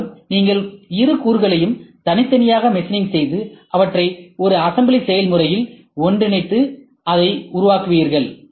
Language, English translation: Tamil, Most likely you would machine both elements separately and work out a way to combine them together as an assembly process